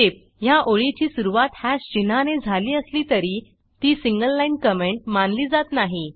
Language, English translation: Marathi, Note: Though this line starts with hash symbol, it will not be considered as a single line comment by Perl